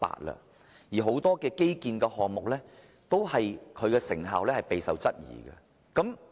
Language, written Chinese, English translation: Cantonese, 然而，很多基建項目的成效均備受質疑。, Nonetheless the effectiveness of many infrastructure projects has been called into question